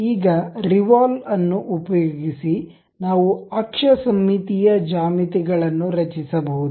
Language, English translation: Kannada, Now, using this revolve, we can construct axis symmetric geometries